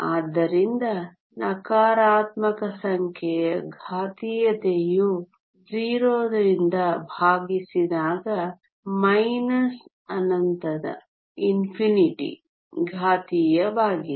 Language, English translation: Kannada, So, exponential of a negative number divided by 0 is exponential of minus infinity which is 0